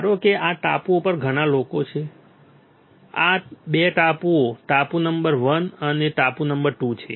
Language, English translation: Gujarati, , These are 2 islands island number 1 and island number 2